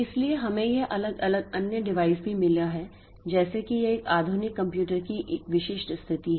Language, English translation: Hindi, So, we also have got this different other devices like say this is a typical situation of a modern computer